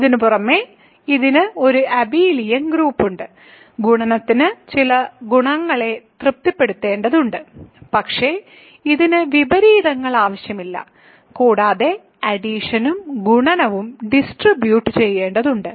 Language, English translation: Malayalam, Under addition it has to an abelian group, multiplication has to satisfy some properties, but it need not have inverses and addition and multiplication have to distribute